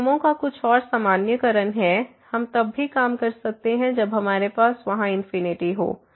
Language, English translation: Hindi, Some more generalization of these working rules, we can also work when we have infinities there